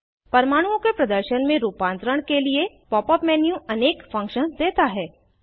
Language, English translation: Hindi, Pop up menu offers many functions to modify the display of atoms